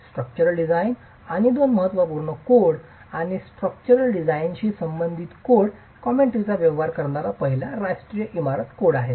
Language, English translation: Marathi, The first one which deals with structural design and the two important codes and a code commentary that deals with structural design